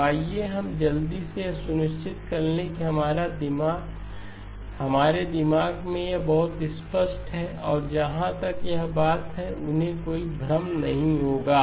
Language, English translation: Hindi, So let us quickly make sure that we have this very clear in our minds and they will not be any confusion as far as this thing is concerned